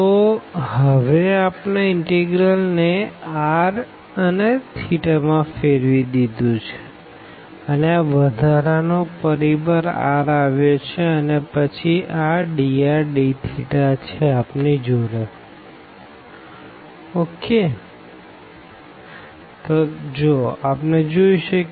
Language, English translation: Gujarati, So, we have the integral now converted into r theta form and this additional factor r has come and then we have dr d theta term